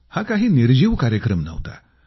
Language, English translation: Marathi, Perhaps, this was not a lifeless programme